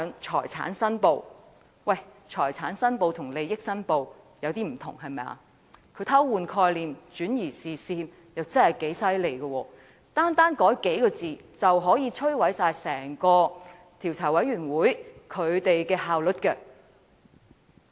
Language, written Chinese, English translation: Cantonese, 財產申報和利益申報稍有不同，他偷換概念，轉移視線，確實厲害，單改數字，便可摧毀整個專責委員會的效率。, He has distorted the concept and shifted the attention . That is a really clever move . Just by changing the numbers he could lower the efficiency of the Select Committee